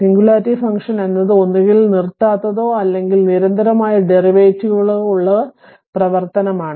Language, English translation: Malayalam, So, singularity function are function that either are discontinuous or have discontinuous derivatives right